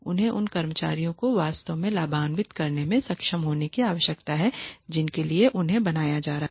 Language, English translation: Hindi, They need to be able to genuinely benefit the employees who they are being made for